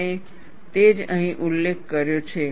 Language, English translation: Gujarati, And that is what is mentioned here